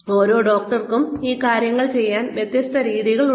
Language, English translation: Malayalam, Every doctor has a different way of doing these things